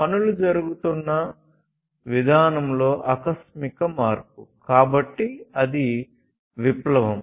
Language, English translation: Telugu, An abrupt change in the way things are being done, so that is the revolution